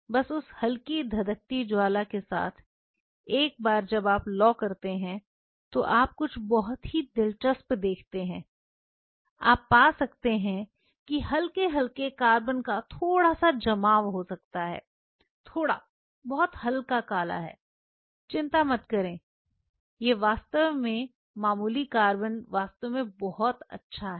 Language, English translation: Hindi, Just with that mild flaming once you do the flame you observe something very interesting you may find there may be a bit of a deposition of mild slight carbon there is slight very mild black do not get worried that is actually good that slight carbon is actually good